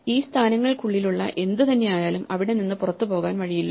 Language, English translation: Malayalam, So, anything which is inside this these positions there is no way to go from here out